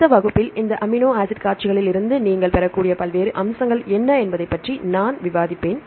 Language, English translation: Tamil, Next class I will discuss about what are the various aspects you can derive from this amino acid sequences that we will discuss in the later classes